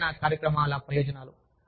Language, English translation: Telugu, Benefits of wellness programs